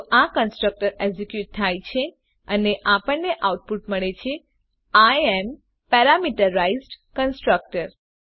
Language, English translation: Gujarati, So this constructor is executed and we get the output as I am Parameterized Constructor